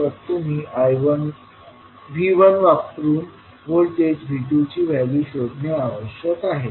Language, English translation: Marathi, You have to find out the value of voltage V2 in terms of V1